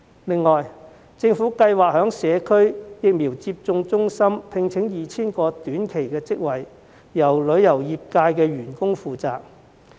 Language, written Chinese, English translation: Cantonese, 此外，政府計劃在社區疫苗接種中心開設 2,000 個短期職位，招聘旅遊業從業員。, In addition the Government has planned to create 2 000 short - term posts in the Community Vaccination Centres which will be filled by tourism practitioners